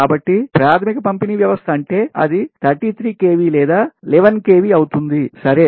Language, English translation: Telugu, so primary distribution system means it will be thirty three kv or eleven kv